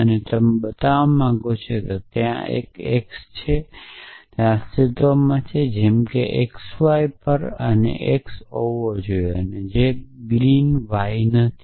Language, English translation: Gujarati, And you want to show that there exists an x there exists a y such that on x y and being x and not green y